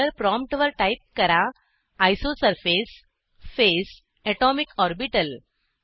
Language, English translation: Marathi, At the ($) dollar prompt type isosurface phase atomicorbital